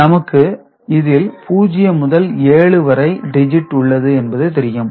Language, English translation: Tamil, Let us consider the representation of them is 0 to 7